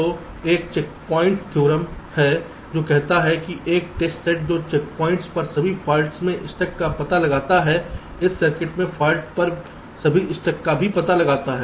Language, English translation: Hindi, so there is a checkpoint theorem which says that a test set that detects all stuck at faults on the checkpoints also detects stuck at faults in this, all stuck at faults in this circuit